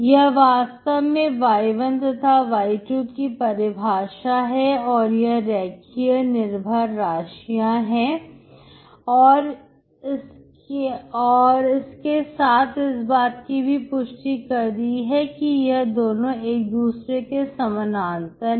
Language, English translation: Hindi, This is exactly the definition of y1, y2 are linearly dependent, that is they are parallel to each other